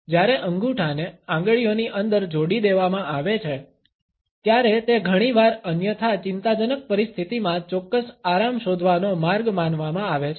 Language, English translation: Gujarati, When a thumb has been tucked inside the fingers, it is often considered a way to find certain comfort in an otherwise anxious situation